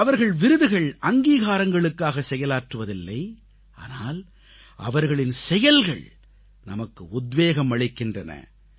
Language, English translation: Tamil, They do not labour for any honor, but their work inspires us